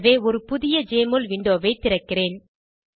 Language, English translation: Tamil, So, I will open a new Jmol window